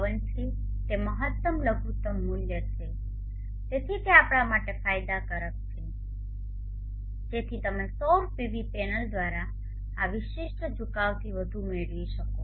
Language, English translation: Gujarati, 52 which is the maximum minimum value, so which is advantageous for us so that you can gain more out of this particular tilt angle from the solar PV panel